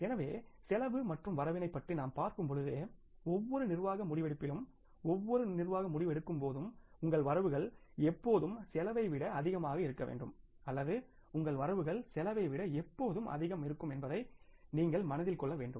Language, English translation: Tamil, So, when you talk about the cost and benefits in every management decision making, in every management decision making we will have to bear this in mind that your benefits always have to be, means more than the cost or your benefits always have to outweigh the cost